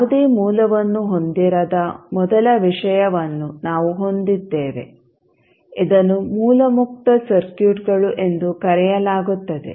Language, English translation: Kannada, So we have the first case where you do not have any source, so called as source free circuits